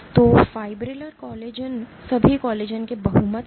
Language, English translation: Hindi, So, fibrillar collagens are the majority of all collagens